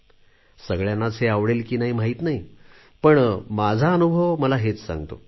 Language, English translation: Marathi, I do not know if everyone likes this or not, but I am saying it out of personal experience